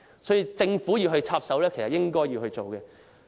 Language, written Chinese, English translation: Cantonese, 所以，政府理應插手處理。, Therefore the Government ought to intervene